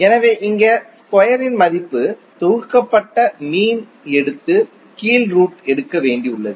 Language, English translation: Tamil, So here square value is there to sum up and take the mean and take the under root of the term